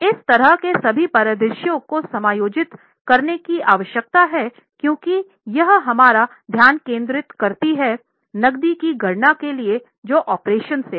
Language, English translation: Hindi, All such scenarios need to be adjusted because here our focus is for calculating the cash from operations